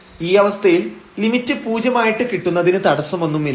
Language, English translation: Malayalam, So, in this case there is no problem to get this limit as 0